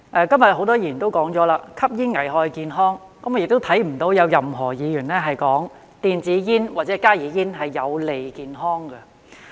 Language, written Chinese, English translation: Cantonese, 今天很多議員也指出，吸煙危害健康，我也聽不到有任何一位議員說，電子煙或加熱煙是有利健康的。, Today many Honourable colleagues have pointed out that smoking is harmful to health . Neither have I heard any Member say electronic cigarettes or heated tabacco products HTPs are good for health